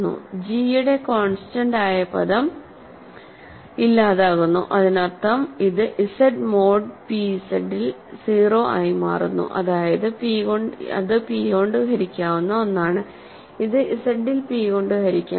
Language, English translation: Malayalam, So, the constant term of g goes away that means, it becomes 0 in Z mod p Z that means, it is divisible p, it is divisible by p in Z